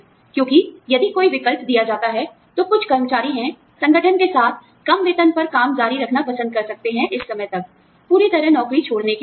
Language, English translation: Hindi, Because, if given a choice, there are some employees, who might prefer to continue working, with the organization, at a lower salary, till this time is, you know, taken care off, instead of being completely, out of a job